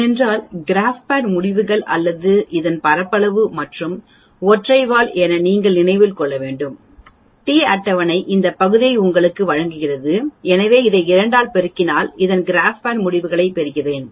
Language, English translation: Tamil, Because you have to remember that the GraphPad results or area of this and this where as the single tail t table gives you this area, so if you multiply this by 2 I will get the GraphPad results